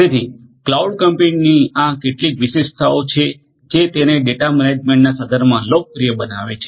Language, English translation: Gujarati, So, these are some of these different characteristics of cloud computing which makes it is makes it popular in the context of data management